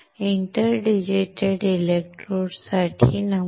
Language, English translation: Marathi, There are inter digitated electrodes